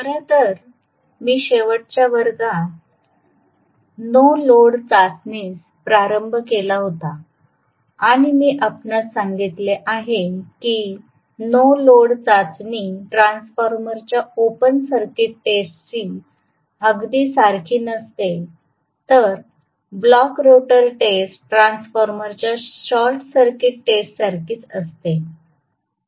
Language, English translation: Marathi, In fact, last class I had started on no load test and I told you that no load test is very similar to the open circuit test of a transformer whereas the block rotor test is very similar to the short circuit test of a transformer